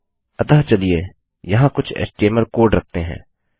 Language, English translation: Hindi, So lets put some html code here